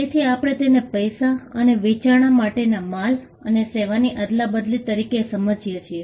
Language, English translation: Gujarati, So, we understand it as an exchange, of goods and services for money or consideration